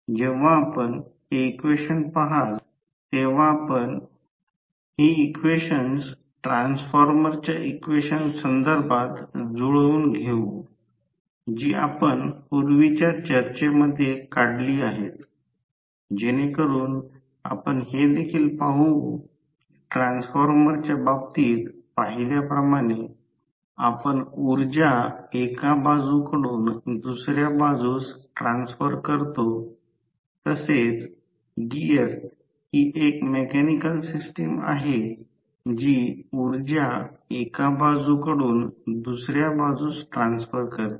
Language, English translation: Marathi, So, when you see this equation, you can correlate these equations with respect to the transformer equations, which we derived in earlier discussions so you can also see that as we saw in case of transformer, we transfer the power from one side to other side, similarly the gear is the mechanical arrangement which transfers power from one side to other side